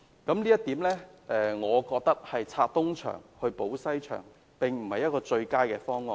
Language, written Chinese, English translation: Cantonese, 我認為這是"拆東牆補西牆"，並不是最佳的方案。, I consider that is just robbing Peter to pay Paul thus it is not the best option